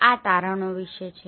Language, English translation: Gujarati, This is about the findings